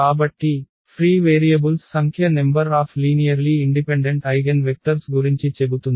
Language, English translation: Telugu, So, the number of free variables tells about the number of linearly independent eigenvectors